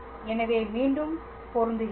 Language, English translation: Tamil, So, let me just match again